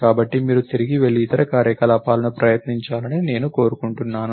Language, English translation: Telugu, So, I would like you to go back and try the other operations